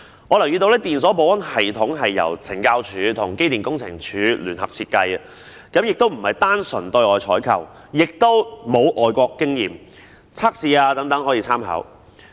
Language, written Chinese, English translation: Cantonese, 我留意到，電鎖保安系統是由懲教署和機電工程署聯合設計的，不是單純對外採購，也沒有外國經驗和測試等可供參考。, I have noticed that ELSS was jointly designed by CSD and the Electrical and Mechanical Services Department . It is not a simple procurement from the outside . Neither is there any overseas experience or test available as reference